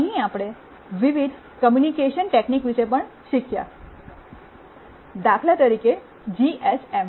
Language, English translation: Gujarati, Here we also learnt about various communication techniques, GSM for instance